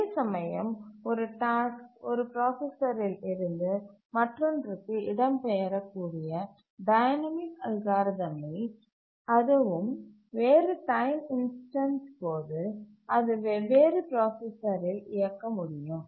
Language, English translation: Tamil, Whereas we also have dynamic algorithms where a task can migrate from one processor to other and at different time instance it can execute on different processors